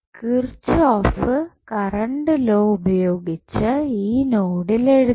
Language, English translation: Malayalam, Let us apply the kirchhoff current law at node A